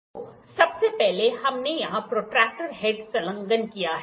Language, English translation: Hindi, So, first we have attached the protractor head here